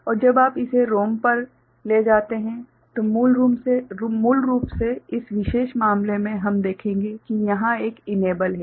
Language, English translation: Hindi, And when you take it to ROM so, basically in this particular case we’ll see that there is an enable